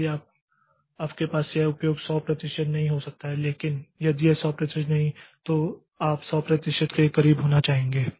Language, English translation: Hindi, So, you cannot have this utilization 100 percent but if it is not 100 percent we would like to be very very close to 100 percent as are as close as possible